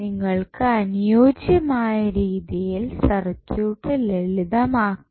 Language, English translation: Malayalam, So, that the circuit can be simplified